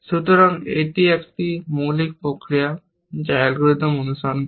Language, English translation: Bengali, So, this is a basic process that this algorithm follows